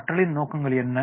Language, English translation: Tamil, What are the learning objectives